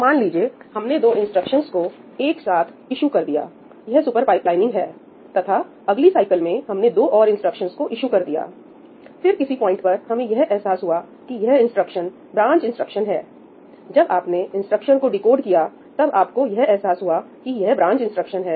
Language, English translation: Hindi, So, let’s say that we have issued 2 instructions together this is super pipelining and then in the next cycle, we issued 2 more instructions, and in the next cycle, we issued 2 more instructions; and at some point of time what we realize is that, this particular instruction, let us say, was a branch instruction when you decode that instruction, you realize it is a branch instruction